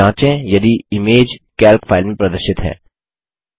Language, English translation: Hindi, Check if the image is visible in the Calc file